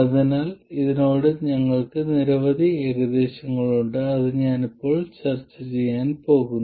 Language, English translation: Malayalam, So, we have a number of approximations to this which I am going to discuss now